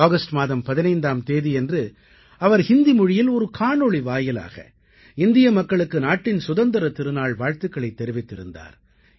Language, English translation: Tamil, On this 15th August, through a video in Hindi, he greeted the people of India on Independence Day